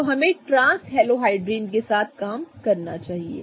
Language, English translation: Hindi, So, we should really work with trans halohydrins